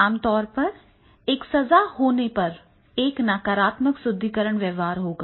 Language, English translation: Hindi, So, if the punishment is there, then there will be the negative reinforcement behavior